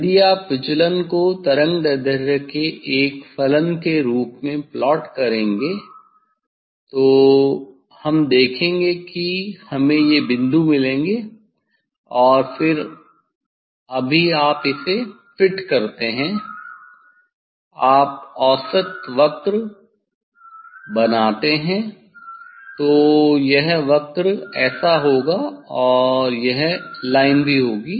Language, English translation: Hindi, Now, you can plot it ok, if you plot deviation as a function of wavelength see we will get this points and then you fit it just you draw a mean curve this curve generally it will be like this and also this file